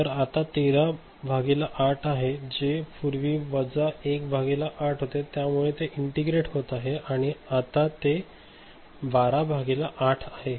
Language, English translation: Marathi, So, 13 by 8 earlier it was minus 1 by 8 so, it is getting integrated so, it is 12 by 8